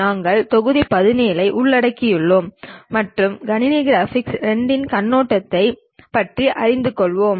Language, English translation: Tamil, We are covering module 17 and learning about Overview of Computer Graphics II